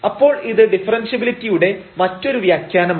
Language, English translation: Malayalam, So, we are talking about the differential